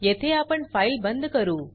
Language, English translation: Marathi, Here we close the file